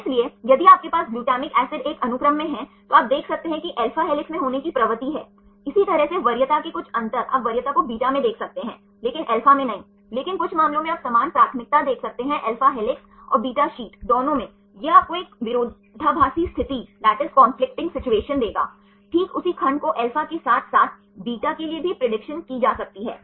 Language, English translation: Hindi, So, if you have glutamic acid in a sequence, then you can see there are tendency to be in alpha helix right likewise some difference of preference you can see the preference in beta, but not in alpha, but some cases you can see similar preferences in both alpha helix and beta sheet this will give you a conflicting situation, right the same segment can be predicted with the alpha as well as for the beta